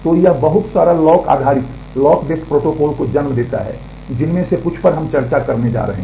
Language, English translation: Hindi, So, that gives rise to a whole lot of lock based protocol some of which we are going to discuss